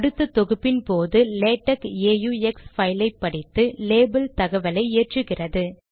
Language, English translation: Tamil, Latex reads the aux file and loads the label information